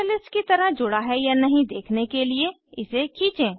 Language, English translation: Hindi, Drag to see the attachement as a catalyst